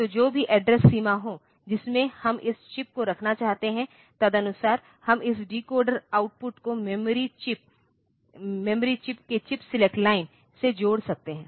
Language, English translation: Hindi, So, whatever be the address range in which we want to put this chip, accordingly we can connect this a decoder output to the chip select line of the chip of the of the memory chip